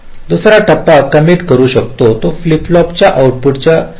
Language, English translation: Marathi, second stage can commit its input before the output of the fist flip flop changes